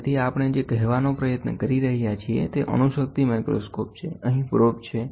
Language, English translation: Gujarati, So, atomic force microscope what we are trying to say is, here is a probe